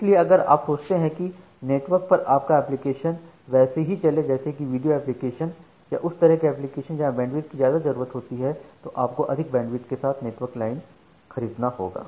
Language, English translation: Hindi, So, if you think that your application or your network is going to run applications like video applications which are kind of bandwidth hungry applications, then you purchase network lines with more bandwidth ok